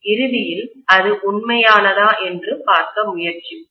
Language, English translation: Tamil, Let us try to see whether it is really true eventually